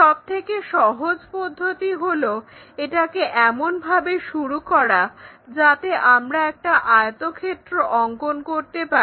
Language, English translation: Bengali, So, the easiest way is begin it in such a way that we will be drawing a rectangle